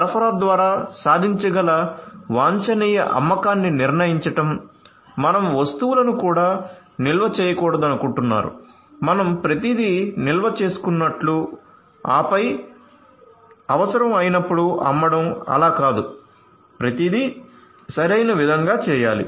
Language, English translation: Telugu, So, determining that and the optimum sale that would can be achieved through the supply you do not want to even stock the items you know it is not like you know you procure everything stock it up and then you sell you know as an when it is required not like that, so everything has to be done optimally